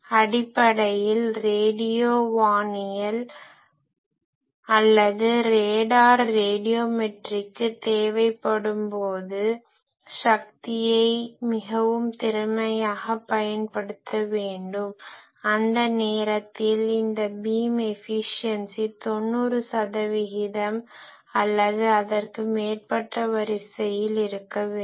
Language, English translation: Tamil, So, basically we require in particularly when for radio astronomy or RADAR radiometry where you have you need to very efficiently use your power that time this beam efficiency should be of the order of 90 percent or more